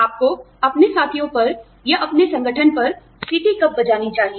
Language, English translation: Hindi, When should you blow the whistle, on your peers, or on your organization